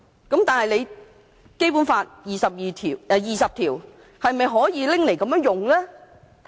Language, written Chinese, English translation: Cantonese, 然而，《基本法》第二十條是否可以這樣引用的呢？, Nevertheless can Article 20 of the Basic Law be invoked in this way?